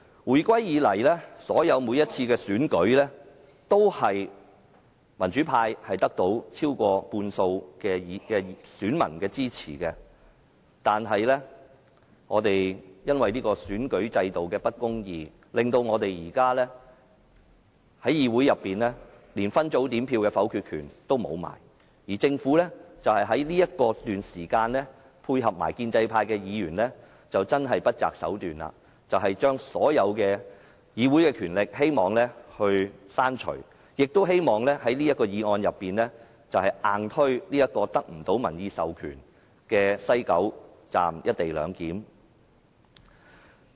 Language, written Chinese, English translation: Cantonese, 回歸以來，每次的選舉都是民主派得到超過半數選民的支持，但由於選舉制度的不公義，令我們現時連分組點票的否決權也失去，而政府卻在這段時間配合建制派議員，不擇手段地要將議會所有權力刪除，亦希望透過這項議案硬推得不到民意授權的西九龍站"一地兩檢"安排。, Since the reunification the pro - democracy camp won the support of more than half of the voters in every election but due to the unjust electoral system we have lost even our veto at separate voting . The Government meanwhile coordinated with the pro - establishment camp to unscrupulously remove all powers of the Legislative Council and forcibly take forward the co - location arrangement at the West Kowloon Station of XRL without public mandate through this motion